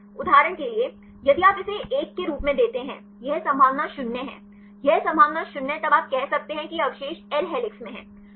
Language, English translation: Hindi, For example, if you give this as 1; this is probability 0, this probability 0 then you can say this residue L is in helix